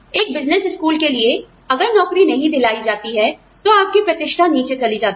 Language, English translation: Hindi, For a business school, if placement does not happen, your rankings go down